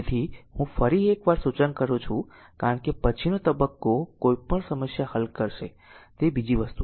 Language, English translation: Gujarati, So, I suggest once again when we because later stage we will solve any problem is another thing